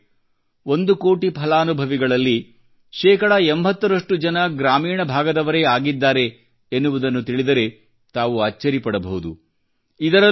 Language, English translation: Kannada, you will be surprised to know that 80 percent of the one crore beneficiaries hail from the rural areas of the nation